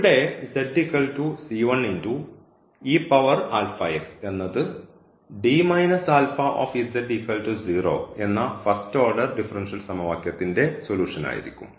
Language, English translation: Malayalam, So, this will be the solution here for this given differential equation this linear differential equation